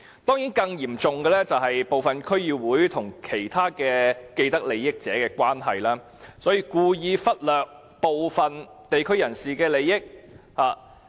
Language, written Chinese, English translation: Cantonese, 當然，更嚴重的問題，是部分區議會因為與其他既得利益者的關係，故意忽略部分地區人士的利益。, Of course an even more serious problem is that some DCs have deliberately ignored the interest of some members of the local community due to their relationship with other people with vested interests